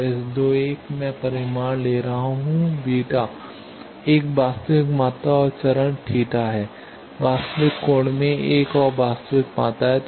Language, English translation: Hindi, So, 31 I am taking the magnitude is beta, a real quantity and phase is theta another real quantity in angle